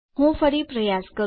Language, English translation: Gujarati, Let me try again